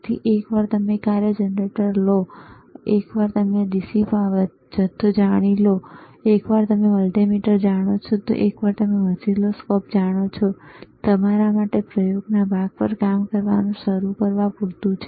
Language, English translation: Gujarati, So, once you know function generator, once you know DC power supply, once you know multimeter, once you know oscilloscope, once you know variable actually that is more than enough for you to start working on the experiment part, all right